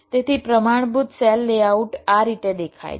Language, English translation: Gujarati, so this is how a standard cell layout works